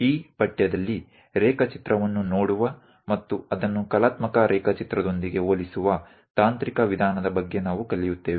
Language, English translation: Kannada, In this course, we are going to learn about technical way of looking at drawing and trying to compare with artistic drawing also